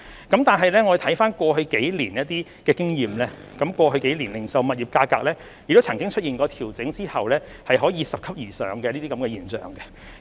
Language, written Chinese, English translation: Cantonese, 但是，我們觀乎過去數年的經驗，零售物業價格亦出現過在調整後拾級而上的現象。, However our experience earned in the past few years has witnessed the phenomenon that retail property prices would pick up gradually after a downward adjustment